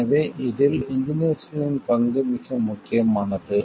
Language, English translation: Tamil, So, the role of engineers becomes very important in this